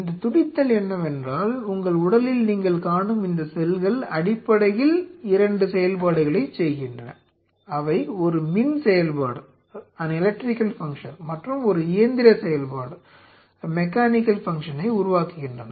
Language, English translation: Tamil, This beating means these cells what you are saying here in your body these cells are essentially they are performing two function; they are forming an electrical function and a mechanical function